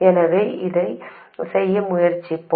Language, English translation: Tamil, So let's do that